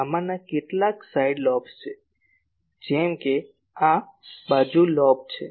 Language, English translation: Gujarati, Some of this are side lobes like this one is side lobe